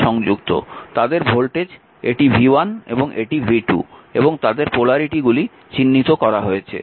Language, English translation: Bengali, Voltage across them it is v 1 and v 2, and their polarity are marked, right